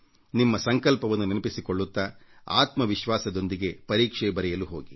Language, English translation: Kannada, Keeping your resolve in mind, with confidence in yourself, set out for your exams